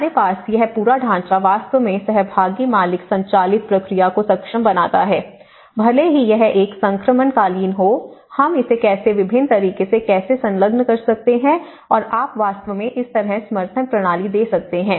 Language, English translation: Hindi, We have this whole framework actually enables the owner driven, participatory owner driven process, even though it is a transitional but how we can, what are the different ways, how we can engage them and how if you can actually give this kind of support systems